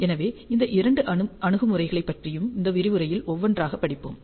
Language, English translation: Tamil, So, we will study these two approaches one by one in this lecture